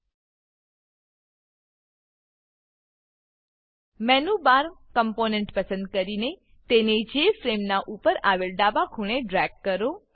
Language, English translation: Gujarati, Select the Menu Bar component and drag it to the top left corner of the Jframe